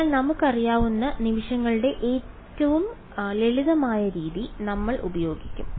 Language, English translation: Malayalam, So, we will use the simplest method of moments that we know